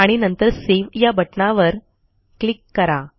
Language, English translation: Marathi, And then click on the Save button